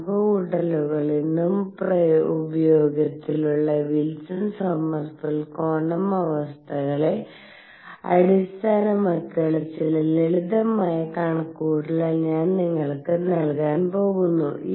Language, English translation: Malayalam, Calculations, I am going to give you some simple calculations based on Wilson Sommerfeld quantum conditions which are in use today also